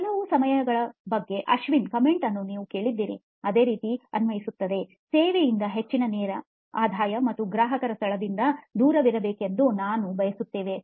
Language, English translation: Kannada, Like, you heard Ashwin comment at some point of time, the same applies here, is we want both high direct revenue from servicing as well as distance from customer location to be far